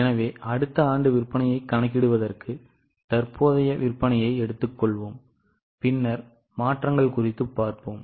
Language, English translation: Tamil, So, for calculating sales, we will take the current sales, then look at the changes